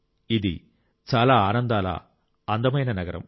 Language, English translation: Telugu, It is a very cheerful and beautiful city